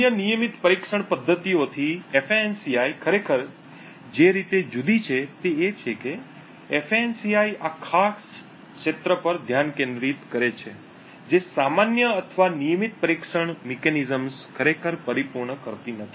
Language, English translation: Gujarati, The way FANCI actually differs from the other regular testing mechanisms is that FANCI focuses on this particular area which normal or regular testing mechanisms would not actually cater to